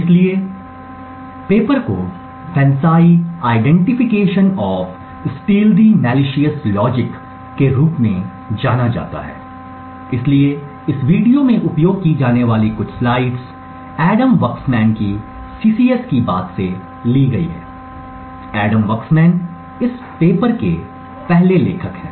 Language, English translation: Hindi, So, the paper is known as FANCI identification of stealthy malicious logic, so some of the slides that are used in this video are borrowed from Adam Waksman’s CCS talk, so Adam Waksman is the first author of this paper that was published